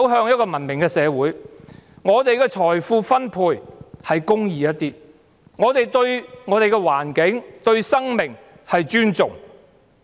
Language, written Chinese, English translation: Cantonese, 在這個社會中，我們的財富分配是公義一點，我們對我們的土地、環境和生命是尊重。, In this society we wish that our wealth can be distributed a bit more righteously and people can show respect to our land environment and lives